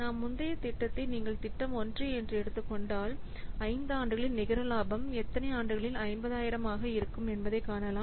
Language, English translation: Tamil, So, if you will take our previous project that is project one, here you can see the net profit is coming to be 50,000 along how many years